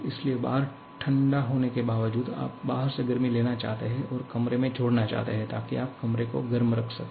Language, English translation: Hindi, So, you want to despite outside being cold, you want to take heat from outside and add to the room, so that you can keep the room warm